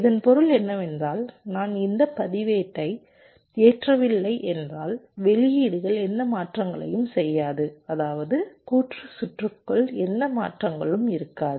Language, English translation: Tamil, which means if i do not load this register, the outputs will not be making any transitions, which means within the combinational circuit also there will not be any transitions